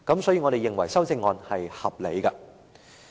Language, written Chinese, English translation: Cantonese, 所以，我們認為修正案是合理的。, Therefore we consider the amendment reasonable